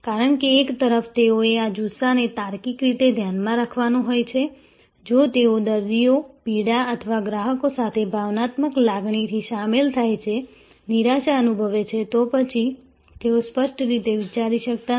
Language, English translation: Gujarati, Because, on one hand, they have to keep a this passionate at logical frame of mind, if they get two emotional involve with the patients, pain or the clients, despair and then, they may not be able to think clearly